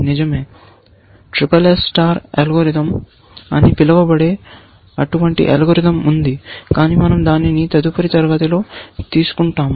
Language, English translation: Telugu, Indeed, there is such an algorithm called sss star algorithm, but we will take that up in the next class